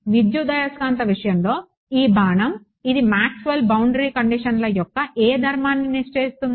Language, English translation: Telugu, In the electromagnetics case this arrow, it is ensuring which property of Maxwell’s boundary conditions